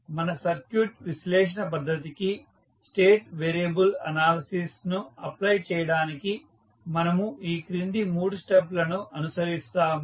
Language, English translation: Telugu, So, to apply the state variable analysis to our circuit analysis method we follow the following three steps